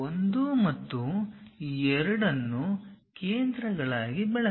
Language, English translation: Kannada, Use 1 and 2 as centers